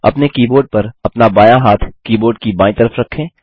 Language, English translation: Hindi, On your keyboard place your left hand, on the left side of the keyboard